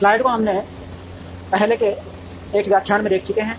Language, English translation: Hindi, We have already seen the slide in an earlier lecture